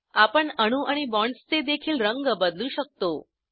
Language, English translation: Marathi, We can also change the colour of atoms and bonds